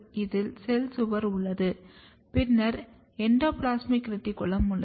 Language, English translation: Tamil, You have cell wall, then you have endoplasmic reticulum